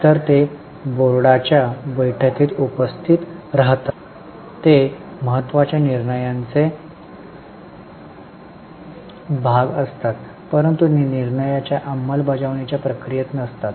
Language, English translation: Marathi, so they attend board meetings, they are part of important decisions but they are not in the process of execution of decisions